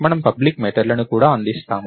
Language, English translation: Telugu, We also provide public methods